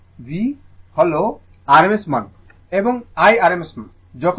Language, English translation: Bengali, v is the rms value and I is the rms value